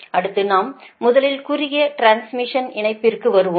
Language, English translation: Tamil, next we will come first short transmission line